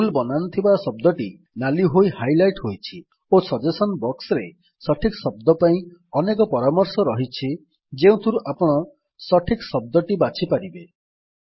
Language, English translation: Odia, The word with the wrong spelling is highlighted in red and there are several suggestions for the correct word in the Suggestions box from where you can choose the correct word